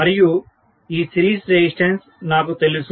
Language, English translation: Telugu, And this series resistance is known to me